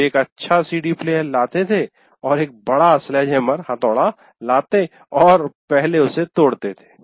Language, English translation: Hindi, He would bring a working CD player and bring a large sledge hammer and break it